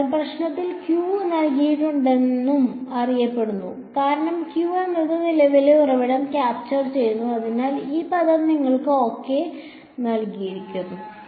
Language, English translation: Malayalam, So, g 1 is known Q has been given to in the problem, because Q is capturing what the current source, so, this term is given to you ok